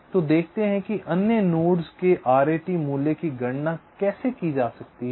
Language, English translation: Hindi, so let see how the r a t value of the other nodes can be calculated